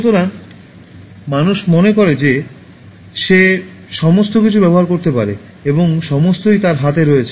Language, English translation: Bengali, So, man thinks that he can use everything, and all are at his disposal